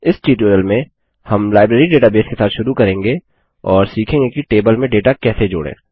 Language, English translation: Hindi, In this tutorial, we will resume with the Library database and learn how to add data to a table